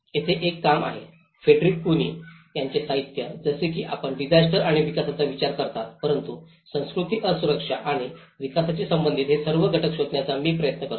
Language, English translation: Marathi, There is also work, literature from Frederick Cuny onwards like you consider disasters and the development but I try to look all these components that relation with culture vulnerability and development